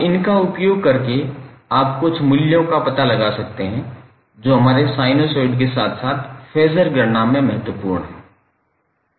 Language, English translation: Hindi, Now using these you can find out few values which are imported in our sinusoid as well as phaser calculation